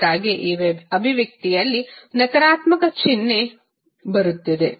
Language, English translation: Kannada, That is why the negative sign is coming in this expression